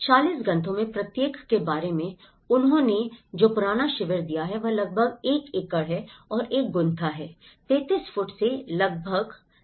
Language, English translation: Hindi, The old camp they have given about each in a 40 Gunthas is about 1 acre and 1 Guntha is about 33 by 33 feet